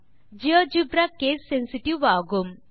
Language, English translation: Tamil, Geogebra is case sensitive